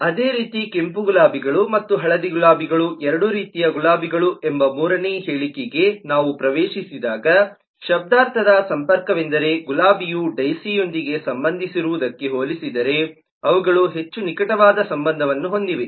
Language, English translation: Kannada, similarly, when we get into the third statement that red roses and yellow roses are both kinds of roses, then the semantic connection is that they are more closely related compared to what a rose is related to with a daisy